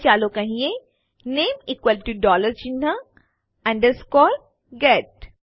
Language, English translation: Gujarati, Now, let say name is equal to dollar sign, underscore, get